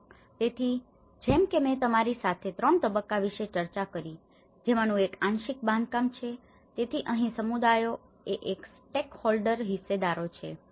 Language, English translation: Gujarati, So, as I discussed with you about 3 stages stage one which is a partial construction so here, the communities who are these stakeholders